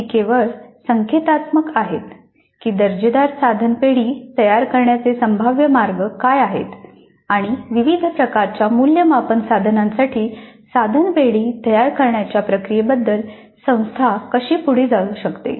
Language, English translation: Marathi, It is only an indicative of what are the possible ways of creating a quality item bank and how can the institute go about the process of creating an item bank for different types of assessment instruments